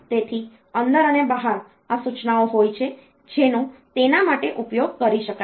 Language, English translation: Gujarati, So, in and out, these instructions are there which can be utilized for that